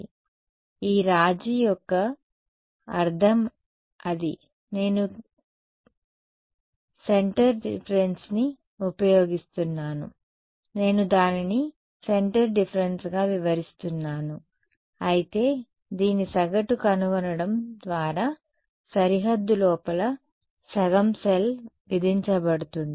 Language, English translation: Telugu, So, that is the meaning of this compromise I am using a centre difference I am interpreting it as a centre difference, but it is being by doing this averaging it is being imposed half a cell inside the boundary